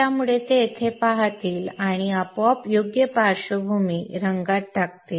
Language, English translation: Marathi, So it will look in there and automatically put in the proper background color